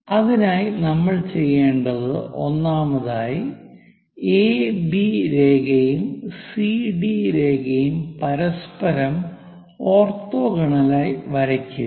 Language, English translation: Malayalam, For that purpose, what we have to do is, first of all, draw AB line, draw CD line orthogonal to each other